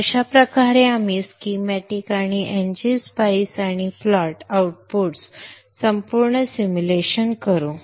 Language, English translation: Marathi, So this is how we go about doing a complete simulation starting from schematics and NG spies and the plot outs